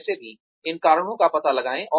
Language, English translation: Hindi, Anyway, so find out these reasons